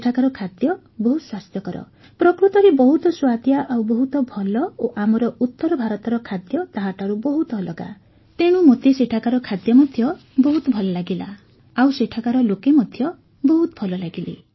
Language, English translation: Odia, The food there is very healthy, in fact it is very delicious and it is very different from the food of our north, so I liked the food there and the people there were also very nice